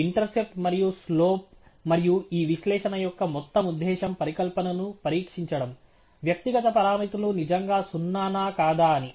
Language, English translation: Telugu, The intercept and slope, and that the entire purpose of this analysis is to test the hypothesis that the individual parameters are truly zero